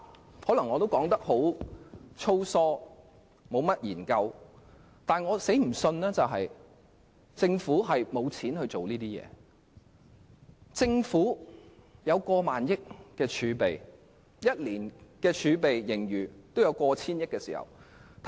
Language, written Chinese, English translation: Cantonese, 我可能說得很粗疏，沒有甚麼研究，但我絕不相信政府沒錢做這些工作，因為政府擁有過萬億元儲備 ，1 年也有過千億元盈餘。, Yet I absolutely do not believe that the Government which has more than 1,000 billion of reserves and over 100 billion of surplus in a year lacks money for the relevant work